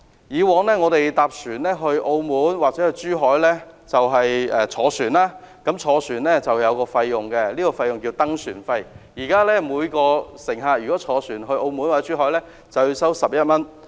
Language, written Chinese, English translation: Cantonese, 以往我們到澳門或珠海會乘船，但乘船需要支付一項費用，即登船費，現時每位乘客登船費為11元。, In the past if we went to Macao or Zhuhai to board a ship we had to pay a fee ie . embarkation fee . The current embarkation fee is 11 per passenger